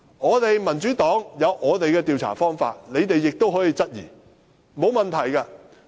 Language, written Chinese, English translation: Cantonese, 我們民主黨也有自己的調查方法，你們亦可以質疑，並無問題。, We the Democratic Party have our own way of conducting surveys . They can also question our results . It does not matter